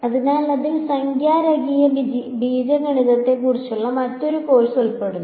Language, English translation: Malayalam, So, that involves another course on numerical linear algebra